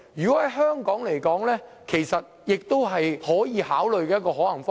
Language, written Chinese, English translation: Cantonese, 在香港來說，這亦是一個可以考慮的可行方式。, In Hong Kong this is a feasible approach that can be considered